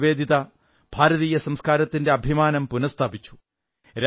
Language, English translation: Malayalam, Bhagini Nivedita ji revived the dignity and pride of Indian culture